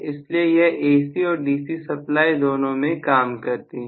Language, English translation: Hindi, So, this can work in AC and DC supply